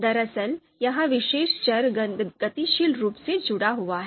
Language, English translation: Hindi, So this actually this particular variable is dynamically linked